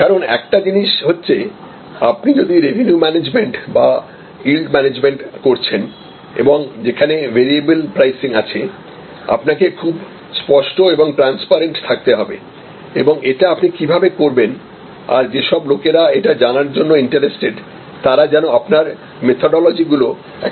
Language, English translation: Bengali, Because, one thing is that if you practice revenue management or yield management as it is know variable pricing you have to be very clear and transparent and that why and how you are doing this and at least people who are interested they should be able to access your methodology